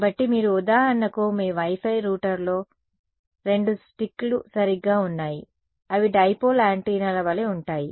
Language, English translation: Telugu, So, you are for example, your Wi Fi router has the two sticks right they are like dipole antennas right